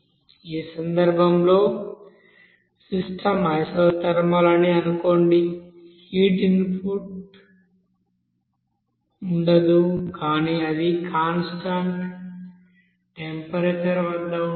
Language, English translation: Telugu, So assume that the system is isothermal in this case, there will be no heat input output there at a constant temperature it will be there